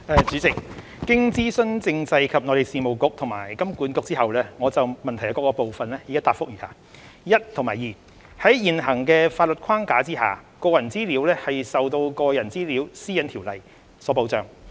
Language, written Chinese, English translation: Cantonese, 主席，經諮詢政制及內地事務局及香港金融管理局後，我就質詢各部分的答覆如下：一及二在現行的法律框架下，個人資料受到《個人資料條例》所保障。, President having consulted the Constitutional and Mainland Affairs Bureau CMAB and the Hong Kong Monetary Authority HKMA my reply to the various parts of the question is as follows 1 and 2 Under the current legal framework personal data are protected by the Personal Data Privacy Ordinance PDPO